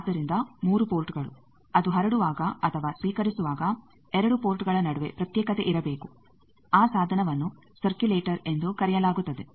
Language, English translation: Kannada, So that 3 ports there should be isolation between 2 of the ports when it is transmitting or receiving that device is called circulator